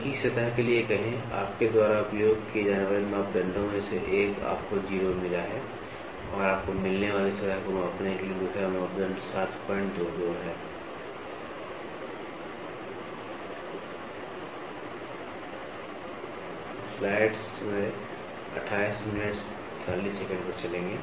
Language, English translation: Hindi, Say for the same surface, one of the parameters whatever you use you got 0 and the other parameter for measuring the surface you get is 7